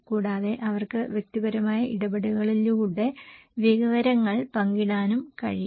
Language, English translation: Malayalam, And also maybe they can share the information through personal interactions